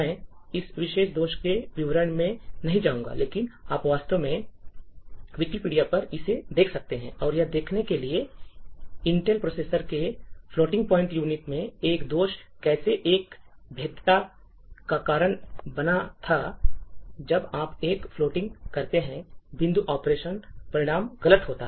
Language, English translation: Hindi, I would not go to into the details of this particular flaw, but you could actually look it up on Wikipedia and so on to see a roughly in the mid 90s, how a flaw in the floating point unit of Intel processors had led to a vulnerability where, when you do a floating point operation, the result would be incorrect